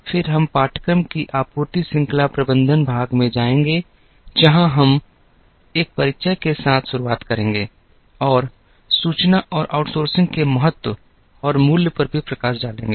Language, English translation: Hindi, We will then go to the supply chain management part of the course, where we will begin with an introduction and also highlight the importance and value of information and outsourcing